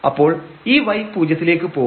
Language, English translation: Malayalam, So, here this y is 0